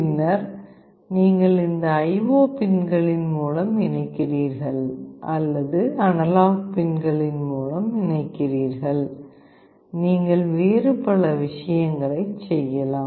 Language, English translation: Tamil, And then you connect through these IO pins or you connect through the analog pins, you can do various other things